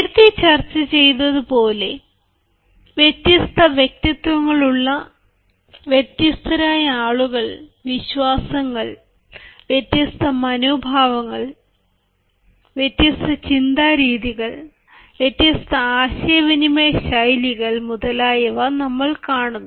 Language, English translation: Malayalam, as discussed earlier, we come across people having different personalities, different beliefs, different attitudes, different ways of thinking, different communication styles